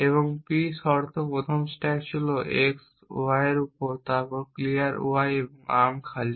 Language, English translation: Bengali, And the p conditions first stack was on x y then clear y and arm empty